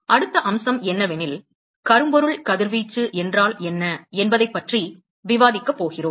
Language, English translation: Tamil, Next aspect is, we are going to discuss, what is Blackbody radiation